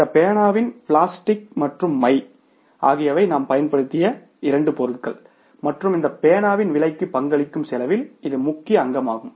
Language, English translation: Tamil, In this pen, plastic and ink are the main materials we have used and they are the main component of the the cost of the cost of this pen